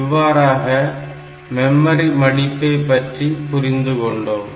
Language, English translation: Tamil, So, this concept is known as the memory folding